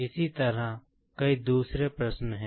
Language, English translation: Hindi, Similarly, there are many other questions